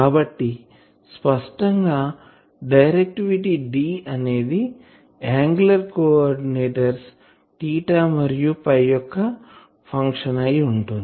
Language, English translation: Telugu, So; obviously, this directivity D , this should be a function of the angular coordinates ; that means, theta and phi